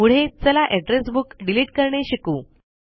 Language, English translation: Marathi, Next, lets learn to delete an Address Book